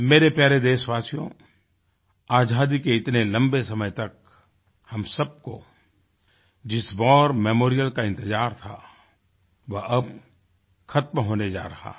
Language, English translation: Hindi, My dear countrymen, the rather long wait after Independence for a War Memorial is about to be over